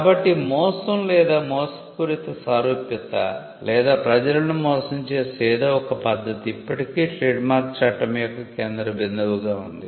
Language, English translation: Telugu, So, deception or deceptive similarity or something that could deceive people still remains at the centre or still remains the focal point of trademark law